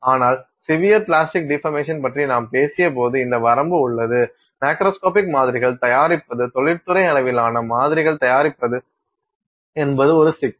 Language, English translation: Tamil, But I mentioned when we spoke about severe plastic deformation that it does have this limitation, making macroscopic samples, making industrial sized samples is a problem with that